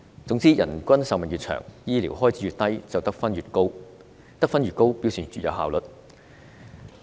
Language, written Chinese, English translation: Cantonese, 總之，人均壽命越長，醫療開支越低，得分便越高，而得分越高表示越有效率。, In short the longer the average life expectancy and the lower the health care expenditures the higher the score and a higher score means higher efficiency